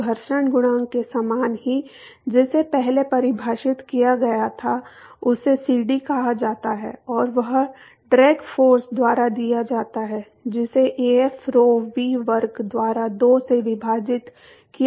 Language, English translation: Hindi, So, very similar to the friction coefficient; that was defined earlier, it is called CD and that is given by the drag force divided by Af rho V square by 2